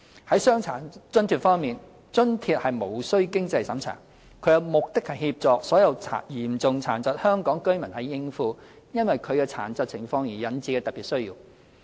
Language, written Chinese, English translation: Cantonese, 在傷殘津貼方面，津貼無須經濟審查，其目的是協助所有嚴重殘疾的香港居民應付因其殘疾情況而引致的特別需要。, Concerning DA there is no means test for this allowance as it aims at helping Hong Kong residents with severe disabilities to meet special needs arising from their severe disabling conditions